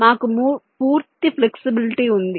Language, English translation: Telugu, we have entire flexibility